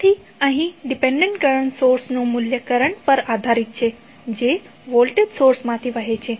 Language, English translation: Gujarati, So, here the dependent current source value is depending upon the current which is flowing from the voltage source